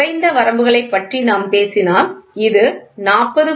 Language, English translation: Tamil, If we talk about lower limits lower limit which is nothing but 40